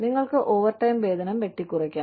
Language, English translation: Malayalam, You could have, you could, cut the overtime pay